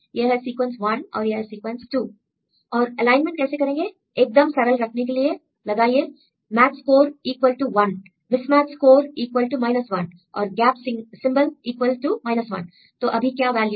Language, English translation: Hindi, And how to make the alignment; so for simplicity I put the match score equal to 1 mismatch score equal to 1 and gap symbol equal to 1; so what is the value